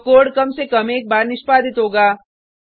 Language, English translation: Hindi, So, the code will be executed at least once